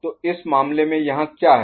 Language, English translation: Hindi, So, in this case what we have over here